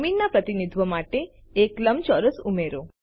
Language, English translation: Gujarati, Let us add a rectangle to represent the ground